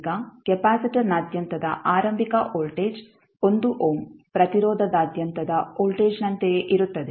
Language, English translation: Kannada, Now initial voltage across the capacitor would be same as the voltage across 1 ohm resistor